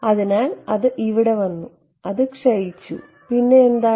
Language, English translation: Malayalam, So, it came over here it decayed then what, then first of all